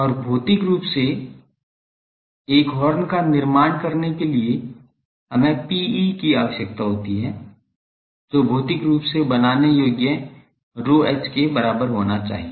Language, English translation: Hindi, And, to the physically construct a horn we require P e should be equal to P h physically constructible ok